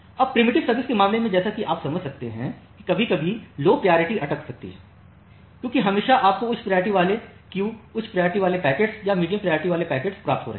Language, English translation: Hindi, Now, in case of a preemptive service as you can understand that sometime the low priority queue may get stuck because always you are receiving the high priority queue, high priority packets or the medium priority packets